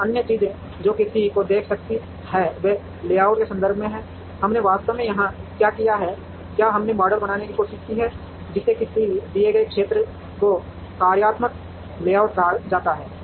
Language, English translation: Hindi, Now, the other things that one could look at is in terms of layout, what we have actually done here is we have tried to model what is called a functional layout into a given area